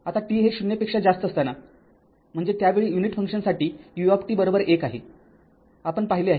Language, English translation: Marathi, Now, for t greater than 0 that means at that time U t is equal to 1 for unit function we have seen